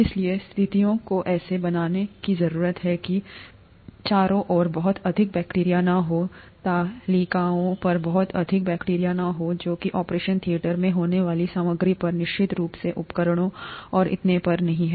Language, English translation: Hindi, not much bacteria around, not much bacteria on the tables, on the material that is in the operation theatre, certainly not in the instruments and so on